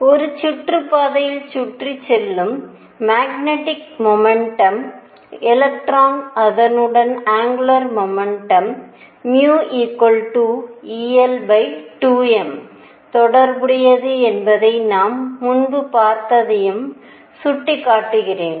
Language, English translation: Tamil, I also point out that we saw earlier that the magnetic moment of electron going around in an orbit was related to it is angular momentum as mu equals e l over 2 m